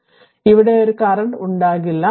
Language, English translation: Malayalam, So, there will be no current here